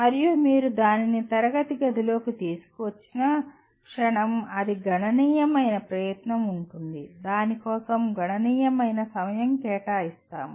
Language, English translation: Telugu, And the moment you bring that into the classroom, it is going to take considerable effort, considerable time for that